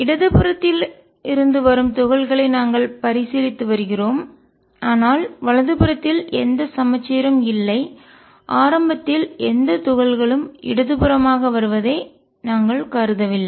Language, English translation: Tamil, We are considering particles coming from the left, but on the right hand side there is no symmetry in that initially we did not consider any particle coming to the left